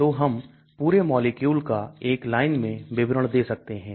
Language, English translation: Hindi, So in single line we can describe the entire molecule